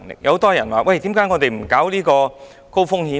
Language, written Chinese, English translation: Cantonese, 有很多人問，為何不設立高風險池？, Many people ask why there is no High Risk Pool HRP